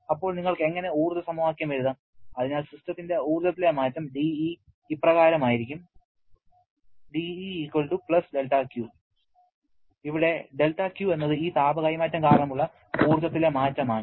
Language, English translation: Malayalam, Then, how you can write the energy equation, so the change in the energy of the system will be equal to +del Q, the change in the energy because of this heat transfer